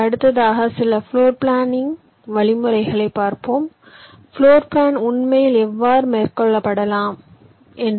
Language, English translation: Tamil, next we shall be seeing some of the floor planning algorithms, how floor planning can actually be carried out